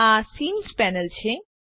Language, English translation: Gujarati, This is the scene panel